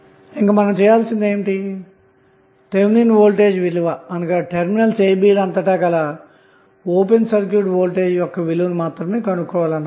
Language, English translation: Telugu, Now, next task what we have to do is that we have to find out the value of Thevenin voltage and that is nothing but the open circuit voltage across terminal a, b